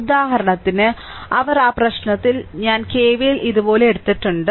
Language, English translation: Malayalam, For example, they are in that in that problem, I have taken your that your K V L like your K V L like this